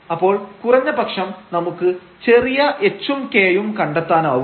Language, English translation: Malayalam, So, for example, this is h is equal to 0 and k is equal to 0